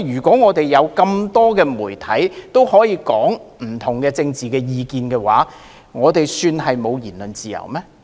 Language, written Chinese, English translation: Cantonese, 當香港眾多媒體可以表達不同的政治意見，這算是沒有言論自由嗎？, When various media in Hong Kong can freely express different political views can we say that there is freedom of speech?